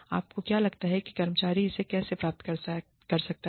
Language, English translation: Hindi, How do you think, the employee can achieve it